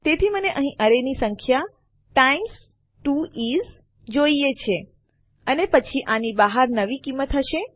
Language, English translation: Gujarati, So I need the number in the array here times 2 is and then outside of this is going to be the new value